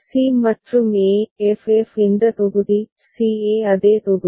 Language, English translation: Tamil, c and e f f this block, c e same block